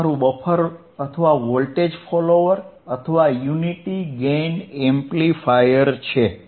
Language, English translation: Gujarati, This is your buffer right buffer or, voltage follower or, unity gain amplifier